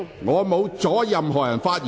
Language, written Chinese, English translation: Cantonese, 我沒有阻止任何議員發言。, I have not stopped any Member from speaking